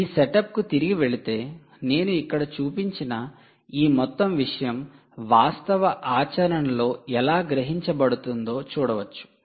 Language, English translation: Telugu, going back to this setup, lets see how this whole thing that i have shown here, this whole thing, how is this realised in actual practice